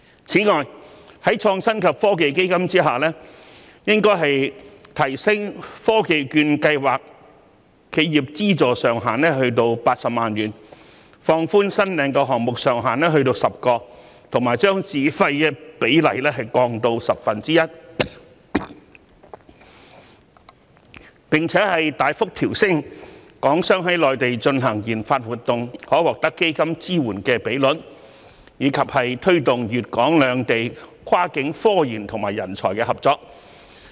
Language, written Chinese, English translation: Cantonese, 此外，在創新及科技基金之下，應提升科技券計劃的企業資助上限至80萬元、放寬新領項目上限至10個，以及將自費比例降至十分之一，並大幅調升港商在內地進行研發活動可獲得基金支援的比率，以及推動粵港兩地跨境科研及人才的合作。, Moreover regarding the Innovation and Technology Fund its Technology Voucher Programme should be enhanced by increasing the funding ceiling per enterprise to 800,000 relaxing the maximum number of approved projects to 10 and raising the Governments funding ratio to 90 % . There should be a marked increase in the proportion of Hong Kong businessmen who receive funding support for conducting research and development activities in the Mainland and efforts should be made to promote cross - boundary cooperation in research and development between talents in Guangdong and Hong Kong